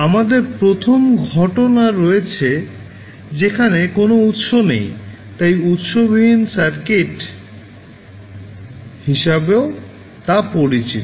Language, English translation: Bengali, So we have the first case where you do not have any source, so called as source free circuits